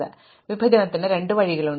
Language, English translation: Malayalam, So, there are two ways to partition